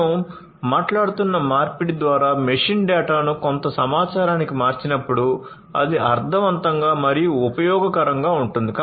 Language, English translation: Telugu, As the conversion of machine data to some information, that can be made meaningful and useful